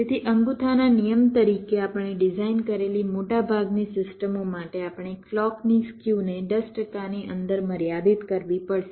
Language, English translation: Gujarati, so, as a rule of thumb, most of the systems we design, we have to limit clock skew to within ten percent